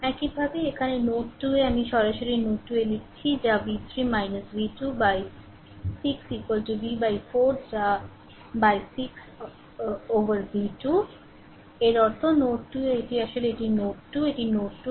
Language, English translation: Bengali, Similarly at node 2 here directly I am writing at node 2 the v 3 minus v 2 upon 6 is equal to v by 4 that is v 2 upon 6; that means, at node 2 this is actually ah this is actually node 2 right this is node 2